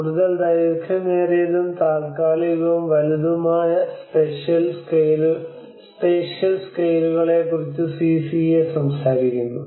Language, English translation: Malayalam, The CCA talks about the more longer and temporal and larger spatial scales